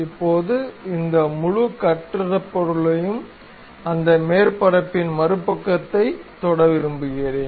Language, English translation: Tamil, Now, we would like to have this entire constructed object touching the other side of that surface